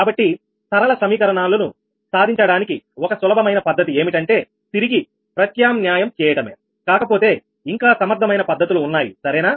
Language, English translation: Telugu, so one simplest method is solving linear is a back substitution, but some other efficient techniques are there, right in any way